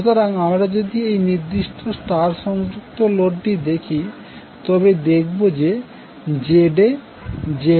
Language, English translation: Bengali, So if you see this particular star connected load, ZA, ZB, ZC are not equal